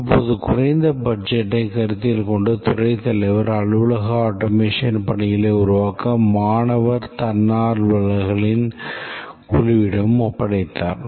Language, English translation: Tamil, Considering the low budget of the head of department, he just interested this to a team of student volunteers to develop this office automation bark